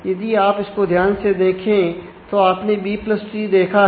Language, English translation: Hindi, So, this is what you have seen is a B + tree